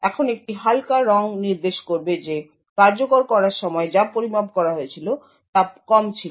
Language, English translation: Bengali, Now a lighter color would indicate that the execution time measured was low